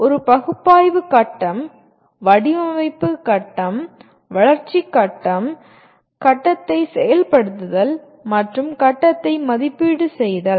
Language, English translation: Tamil, A analysis phase, design phase, development phase, implement phase, and evaluate phase